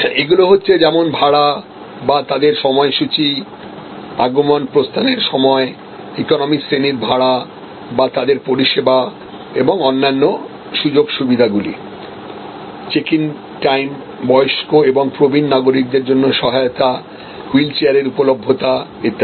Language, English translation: Bengali, So, these are all their economy class pricing or their service kind of other benefits available, check in time or assistance for aged and senior citizens, availability of wheelchair and so on